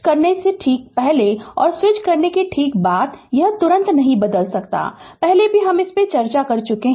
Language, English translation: Hindi, Just before switching and just after switching, it cannot change instantaneously; earlier also we have discussed this